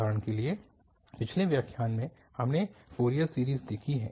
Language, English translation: Hindi, In the earlier lecture, for instance, we have seen the Fourier series